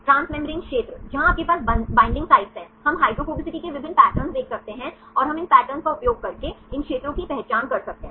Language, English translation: Hindi, Transmembrane regions, where you have binding sites, we can see different patterns of hydrophobicity and we can use these patterns to identify these regions